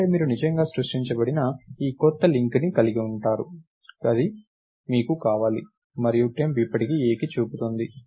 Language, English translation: Telugu, So, that means, you actually have this new link that is created, you want that and temp is still pointing to A